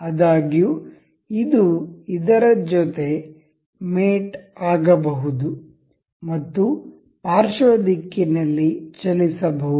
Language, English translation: Kannada, However, this can mate this can move in the lateral direction